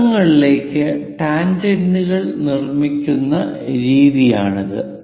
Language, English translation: Malayalam, This is the way we construct tangents to circles